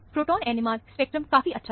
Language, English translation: Hindi, Proton NMR spectrum is very nice